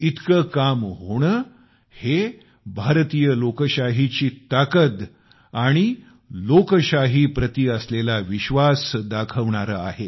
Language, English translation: Marathi, So much accomplishment, in itself shows the strength of Indian democracy and the faith in democracy